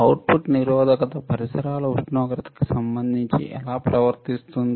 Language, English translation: Telugu, How the output resistance will behave with respect to ambient temperature